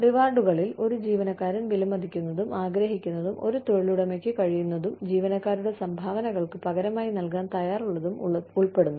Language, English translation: Malayalam, Rewards include, anything an employee, values and desires, that an employer is, able and willing to offer, in exchange for employee contributions